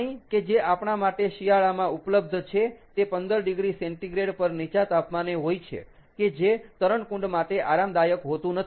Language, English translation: Gujarati, the water that is available to us in winter is at a lower temperature, around fifteen degree centigrade, which is not comfortable for a swimming pool